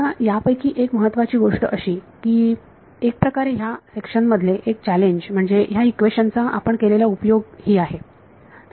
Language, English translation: Marathi, Now one of the main things that I want to sort of challenge in this section is our use of this equation